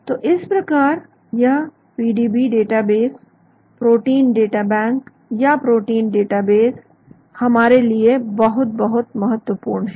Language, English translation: Hindi, So that way this PDB database is protein databank or protein database is very, very essential for us